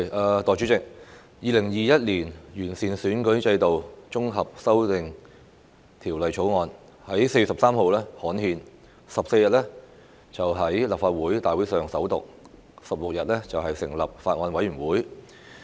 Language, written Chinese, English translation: Cantonese, 代理主席，《2021年完善選舉制度條例草案》在4月13日刊憲 ，14 日在立法會大會上首讀 ，16 日成立法案委員會。, Deputy President the Improving Electoral System Bill 2021 the Bill was gazetted on 13 April and read for the First time at the Legislative Council meeting on 14 April . Then the Bills Committee was formed on 16 April